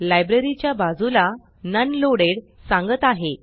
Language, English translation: Marathi, Next to the library, it says None Loaded